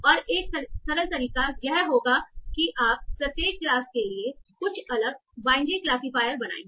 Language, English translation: Hindi, And a simple approach would be you make different binary classifiers for each of the classes